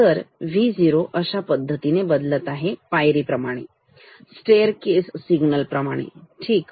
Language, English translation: Marathi, So, V o changes like this, like a staircase signal, ok